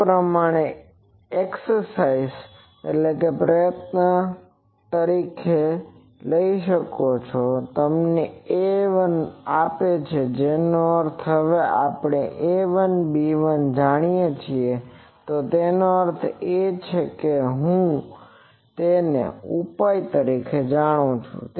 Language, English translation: Gujarati, This you can take as an exercise this gives you A 1 so that means, now we know A 1, B 1 so that means I know the solution